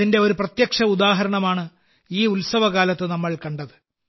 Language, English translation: Malayalam, We have seen a direct example of this during this festive season